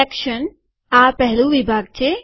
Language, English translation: Gujarati, Section, this is first section